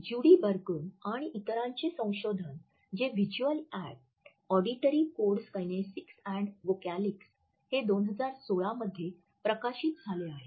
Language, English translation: Marathi, It is pertinent here to quote a research by Judee Burgoon and others, entitle the visual and auditory codes kinesics and vocalics which was published in 2016